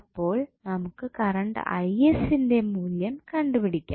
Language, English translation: Malayalam, So, you can find out the value of current Is